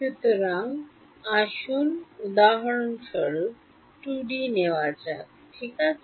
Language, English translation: Bengali, So let us take 2 D for example, ok